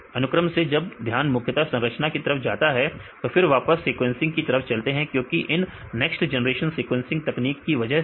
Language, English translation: Hindi, From the sequence then when the attention to mainly structure then went back again to the sequencing because of these next generation sequencing techniques